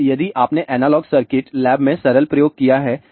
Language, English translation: Hindi, Now, if you have done the simple experiment in the analog circuits lab